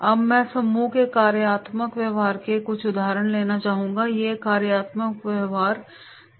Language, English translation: Hindi, Now, I would like to take certain examples of the functional behaviour in the training group, what are those functional behaviours are there